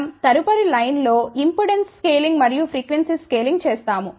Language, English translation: Telugu, Now, let us do the impedance and frequency scaling